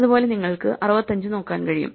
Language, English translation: Malayalam, Similarly, you can start and look for 65